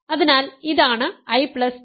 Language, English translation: Malayalam, What is I J